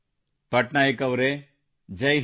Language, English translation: Kannada, Patnaik ji, Jai Hind